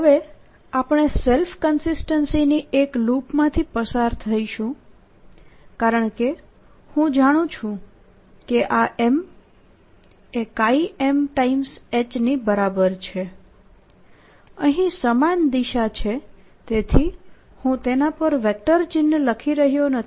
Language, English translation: Gujarati, now we'll go through a loop of self consistency because i know this m is nothing but its same direction, so i am not writing a vector sign on top